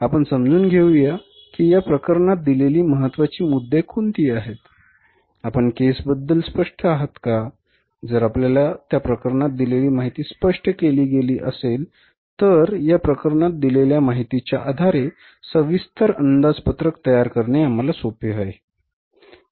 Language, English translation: Marathi, So let us understand that what are the important points given in this case so that if we are, means if you are clear with the requirements of the case, if you are clear with the information given in the case, then it is very easy for us to say prepare the detailed budgets on the basis of the information given in this case